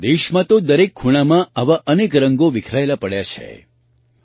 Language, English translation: Gujarati, In our country, there are so many such colors scattered in every corner